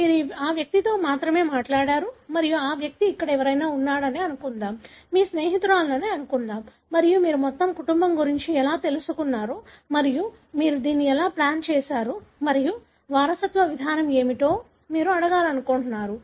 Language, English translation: Telugu, You only spoke to that individual and let’s assume that individual happened to be somebody here, let’s say your friend and that’s how you came to know about the entire family and you sort of plotted this and you want to ask what the mode of inheritance is